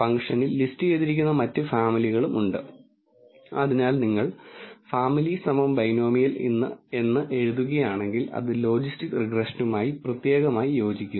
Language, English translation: Malayalam, There are also other families which are listed inside the function but if you write family equal to binomial then it specifically corresponds to logistic regression